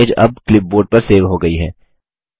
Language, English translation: Hindi, The image is now saved on the clipboard